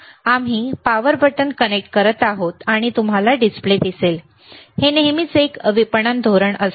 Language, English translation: Marathi, So, we are connecting the power button, and you will see the display, it is always a marketing strategy